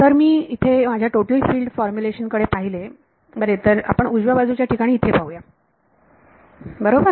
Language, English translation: Marathi, If I look at my total field formulation over here well let us look at the right hand side over here right